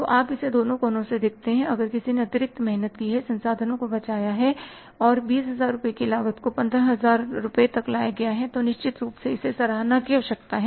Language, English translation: Hindi, So you look it from both the angles if somebody has walked extra hard, saved the resources and that 20,000 rupees cost has been brought down to 15,000 rupees certainly needs appreciation